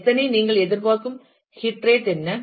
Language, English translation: Tamil, how many, what is your expected heat rate